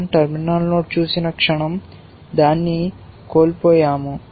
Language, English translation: Telugu, The moment we see a terminal node we missed it